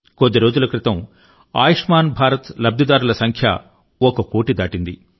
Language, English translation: Telugu, A few days ago, the number of beneficiaries of 'Ayushman Bharat' scheme crossed over one crore